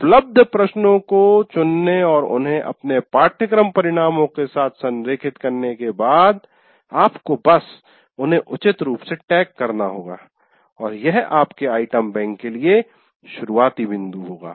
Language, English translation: Hindi, Then you have to, after curating these questions that are available and making them in alignment with your course outcomes, then you have to just tag them appropriately and that will be starting point for your item bank